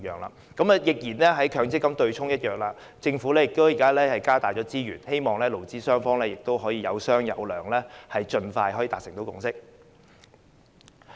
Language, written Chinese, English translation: Cantonese, 正如取消強制性公積金的對沖機制一樣，政府現時增加資源，希望勞資雙方有商有量，盡快達成共識。, As in the abolition of the offsetting arrangement of the Mandatory Provident Fund System the Government is now putting in more resources in the hope that employers and employees will negotiate to reach a consensus as soon as possible